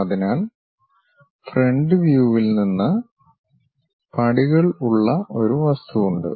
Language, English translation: Malayalam, So, from the front view, there is an object with steps